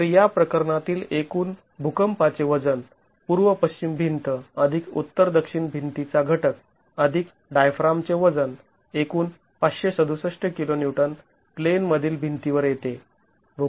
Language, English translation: Marathi, So, the total seismic weight in this case east west wall plus the north south wall component plus the diaphragm weight a total of 567 kiloons comes on to the comes on to the in plane walls